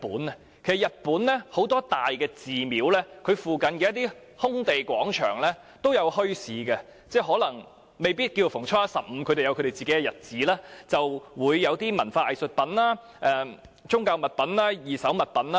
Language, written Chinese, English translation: Cantonese, 其實在日本，很多大寺廟附近的一些空地、廣場均會舉辦墟市，可能未必是逢初一、十五，而是在特定的日子，便會有商販擺賣文化藝術品、宗教物品或二手物品。, Bazaars are held in the open areas near big temples in Japan on designated days not necessarily on the 1 and 15 days of each month according to the Chinese lunar calendar . Traders may sell cultural artistic religious or second - hand items